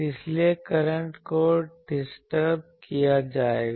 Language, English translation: Hindi, So, currents will be distributed